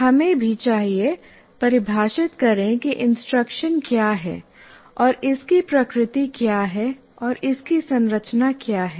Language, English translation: Hindi, So we also once again need to define what instruction is and what is its nature and what are its constructs